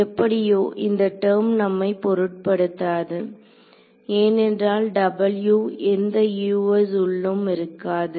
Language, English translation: Tamil, So, anyway this W f x term does not bother us, because W it does not contain any us inside it in anyway right